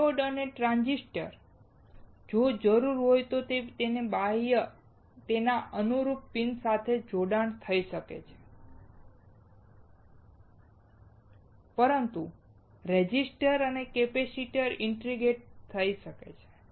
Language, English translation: Gujarati, Diodes and transistors, if required can be externally connected on to its corresponding pins finally; But resistors and capacitors can be integrated